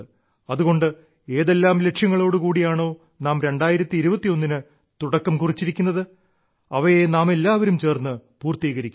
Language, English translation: Malayalam, Therefore, the goals with which we started in 2021, we all have to fulfill them together